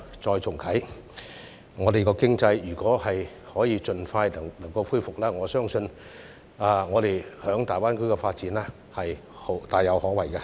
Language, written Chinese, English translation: Cantonese, 如果香港的經濟可以盡快復蘇，我相信我們在大灣區的發展是大有可為的。, I believe that our development in the Greater Bay Area will have great possibilities should the Hong Kong economy have a speedy recovery